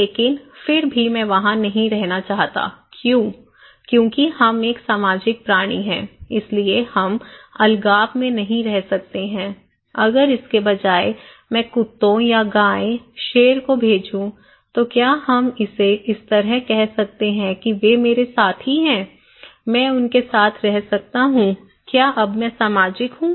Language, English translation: Hindi, But still I do not want to live there because why; because we are social animals, we cannot live in isolation so, if instead of that, I send dogs or maybe cow, lion, can we call it kind of they are my companions, I can stay with them, am I social now; basically, no